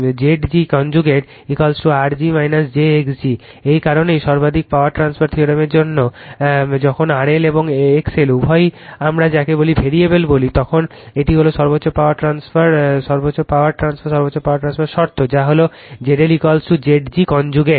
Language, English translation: Bengali, Therefore, Z g conjugate is equal to R g minus j x g right that is why for maximum power transfer theorem, when both R L and your X L your both are your what we call variable, then this is the condition for maximum power transfer maximum power transfer that Z L is equal to Z g conjugate right